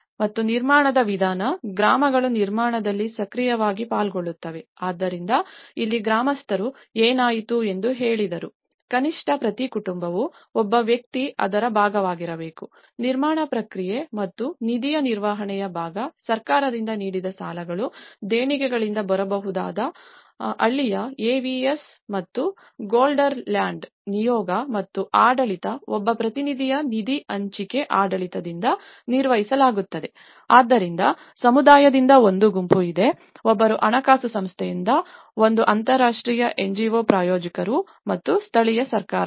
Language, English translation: Kannada, And the method of construction, that the villages would take an active part in the construction so, here what happened was the villagers they also said that at least each family one person has to be part of it, the part of the construction process and management of the fund, the credits given by the government and those from the donations would be managed by the shared fund administration of one representative from the villager AVS and the Gelderland delegation and the governorship so, there is a group of one from the community, one from the funding agency, one from the international NGO sponsor and the local governments